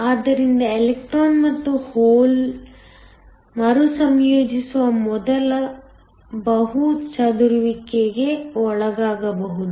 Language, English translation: Kannada, So, the electron and hole can undergo multiple scattering before they recombine